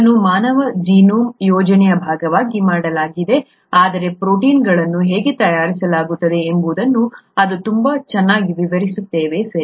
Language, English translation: Kannada, It was made as a part of the human genome project, but it very nicely explains how proteins are made, okay